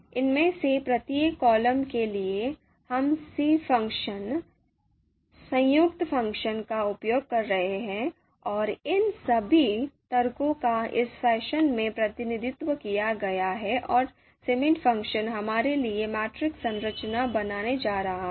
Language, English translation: Hindi, So for each of you know these columns, we are using the c function, the combined function, and all of these arguments are then you know represented in this fashion and cbind function is going to create a structure the matrix structure for us